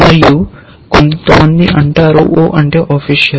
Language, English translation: Telugu, And some people say that O stands for official